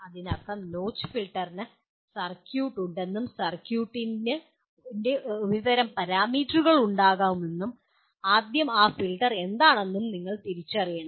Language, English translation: Malayalam, That means notch filter will have a some kind of a circuit and the parameters of the circuit will have, first you have to identify what that filter is